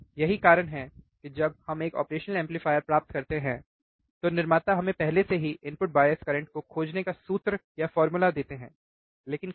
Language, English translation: Hindi, That is why when we get the operational amplifier, the manufacturers already give us the formula of finding the input bias current, how